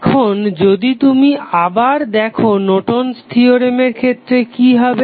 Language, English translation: Bengali, Now, if you see again in case of Norton's Theorem what will happen